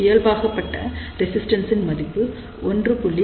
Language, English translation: Tamil, So, the normalized value of resistance is 1